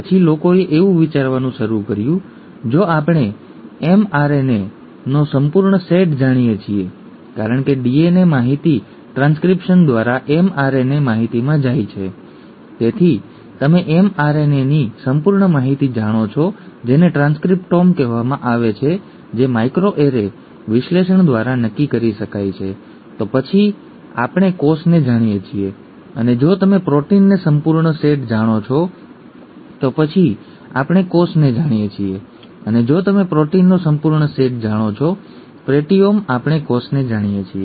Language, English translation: Gujarati, Then people started thinking, if we know the complete set of m RNA, because DNA information goes to mRNA information through transcription, so you know the complete mRNA information which is called the transcriptome which can be done through micro array analysis and so on, then we know the cell, and if you know the complete set of proteins, the proteome, we know the cell